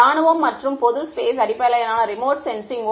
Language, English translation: Tamil, Military and general space based remote sensing